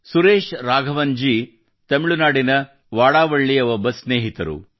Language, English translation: Kannada, Suresh Raghavan ji is a friend from Vadavalli in Tamil Nadu